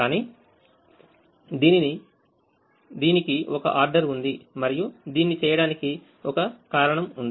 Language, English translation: Telugu, but there is a order and there is a reason for doing this